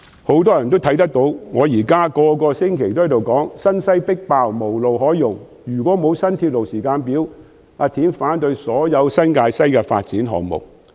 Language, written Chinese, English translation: Cantonese, 很多人或許留意到我每星期皆說："新西迫爆、無路可用，若然沒有新鐵路時間表，我會反對所有新界西發展項目。, Many people may be aware that I have kept saying this every week The overcrowded New Territories West is lack of rail lines . Without a timetable on constructing new rail lines I will oppose all the development projects in New Territories West